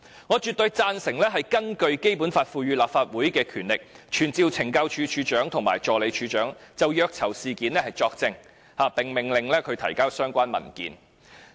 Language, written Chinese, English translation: Cantonese, 我絕對贊同根據《基本法》賦予立法會的權力，傳召懲教署署長及助理署長，就虐囚事件作證，並命令他們提交相關文件。, I completely support the proposal to exercise the Councils power under the Basic Law to summon the Commissioner of Correctional Services and the Assistant Commissioner of Correctional Services Operations to testify in connection with alleged claims of torture of prisoners